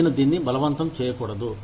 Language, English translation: Telugu, I should not be forced to do it